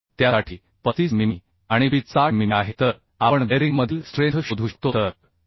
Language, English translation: Marathi, 53 for edge as 35 mm and pitch as 60 mm so we can find out strength in bearing So 2